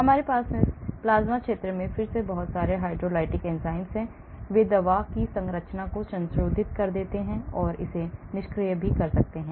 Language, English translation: Hindi, plasma stability; here we have a lot of hydrolytic enzymes in the plasma region again, they may be modifying the structure of the drug and making it inactive